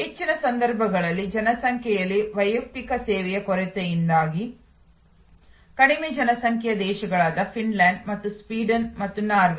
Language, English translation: Kannada, In most cases, because of this lack of service personal in a population, low population countries like Finland and Sweden and Norway